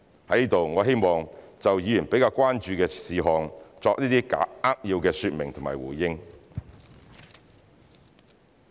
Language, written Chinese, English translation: Cantonese, 在此，我希望就議員比較關注的事項作出一些扼要說明和回應。, Now I would like to briefly expound and respond to the issues that Members are more concerned about